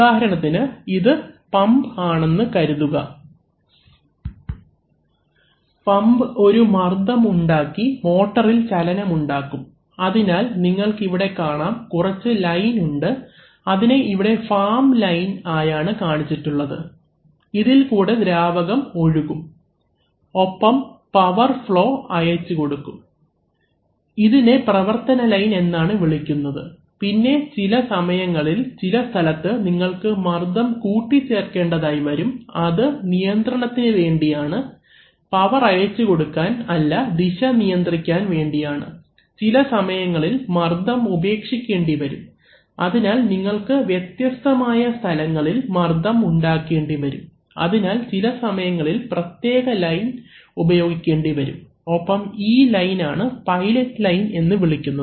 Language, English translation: Malayalam, For example the, this is, this is supposed to be a pump and this is supposed to be a motor, so the pump is creating pressure which is moving the motor creating the motion, so you see that there are some lines which are shown as farm lines through which the actual liquid flows and transmit the power, they are called working lines, then sometimes there are, you have to create some additional pressures at various points, so they, that for, that for control, that is not for transmitting the power but for controlling the direction, sometimes releasing pressure, so you need to create pressure at different points, you, sometimes you have to use separate lines and these lines are called pilot lines